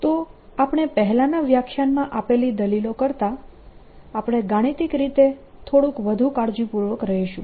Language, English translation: Gujarati, so we are going to be mathematical, little more rigorous than the arguments that we gave in the previous lecture